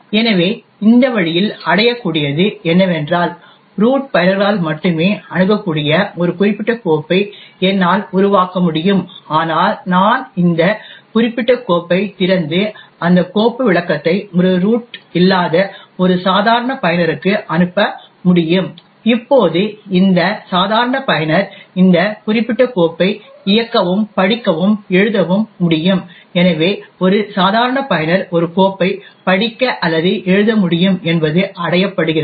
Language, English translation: Tamil, So in this way what can be achieved is that I could create a particular file which is accessible only by root users but then I could open this particular file and send that file descriptor to a normal user who is not a root, now this normal user can then execute and read and write to this particular file, so thus what is achieved is that a normal user can read or write to a file which is owed by a root